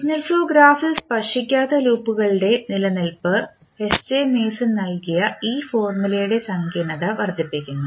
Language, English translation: Malayalam, The existence of non touching loops in signal flow graph increases the complexity of this formula which was given by S J Mason